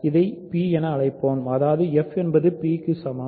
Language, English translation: Tamil, So, let us call it p so; that means, f is equal to p